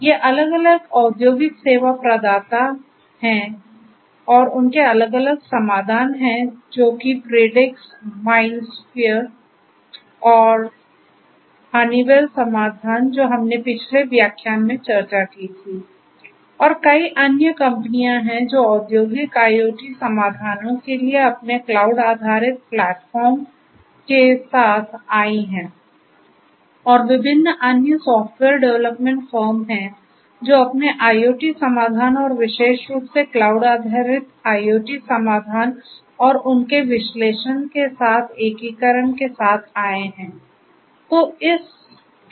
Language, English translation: Hindi, These are the different industrial service providers and their different solutions like Predix, MindSphere and the Honeywell solution we discussed in the last lecture and so there any many others there are many other company companies which have come up with their cloud based platforms for industrial IoT solutions, but there are different other software development firms who have also come up with their IoT solutions and particularly cloud based IoT solutions and their integration with analytics right